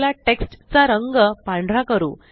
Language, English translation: Marathi, So let us change the color of the text to white